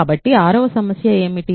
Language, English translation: Telugu, So, what is the 6th problem